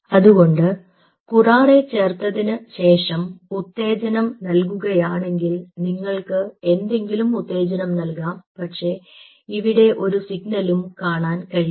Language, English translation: Malayalam, so if you add curare and if you given stimulus, you you can have any stimulus, but you wont see any signal out here